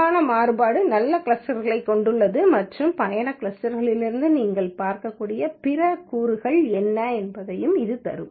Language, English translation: Tamil, The lesser the variance, the good are the clusters and it will also give what are the other components that you can look from the trip clusters